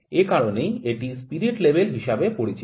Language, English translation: Bengali, That is why it is known as spirit level